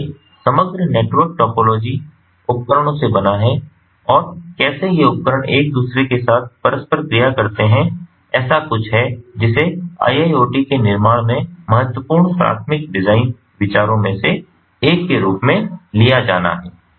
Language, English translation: Hindi, so the overall network topology formed out of the devices and how these devices interoperate with one one another is something that has to be taken as one of the important primary design considerations in building iiot